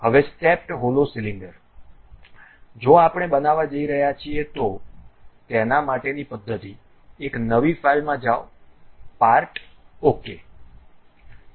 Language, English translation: Gujarati, Now, a stepped hollow cylinder if we are going to construct, the procedure is go to new file part ok